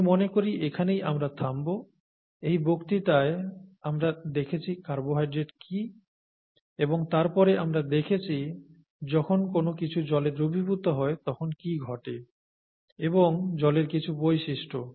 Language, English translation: Bengali, And I think we will stop here, this lecture we looked at carbohydrates and then we looked at what happens when something dissolves in water and some properties of water